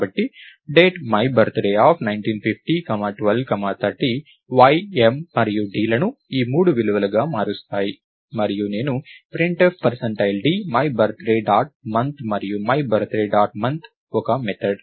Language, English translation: Telugu, So, Date my birthday of 1950, 12, 30 will change y, m and d to be these three values and I can do printf percentage d my birthday dot month and my birthday dot month is a method